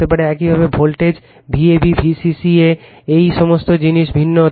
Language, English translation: Bengali, Similarly, supply voltage your V ab V c c a right all these things may be different